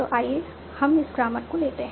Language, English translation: Hindi, So let's take this grammar